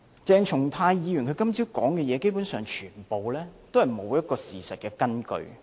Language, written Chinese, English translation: Cantonese, 鄭松泰議員今早的發言，基本上完全沒有事實根據。, Essentially Dr CHENG Chung - tais speech this morning was completely unfounded